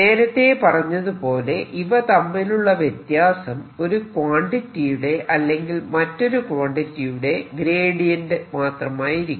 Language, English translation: Malayalam, as i said earlier, they will all differ by quantities which are gradients of one over the other quantity